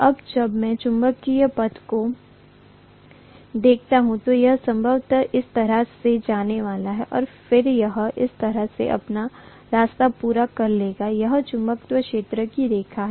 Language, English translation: Hindi, Now when I look at the magnetic path, it is probably going to go like this, go like this and then it will complete its path like this, this is the way the magnetic field line is going to be, right